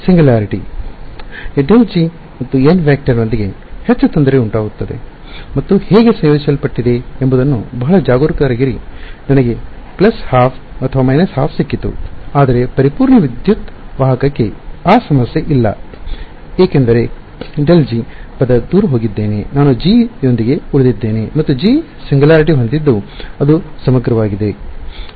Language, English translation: Kannada, The singularity cause more of a trouble with grad g dot n hat and to be very careful how are integrated I got a plus half or minus half, but for a perfect electric conductor that problem is not there because the grad g term is gone away I am just left with g and g had a singularity which was integrable ok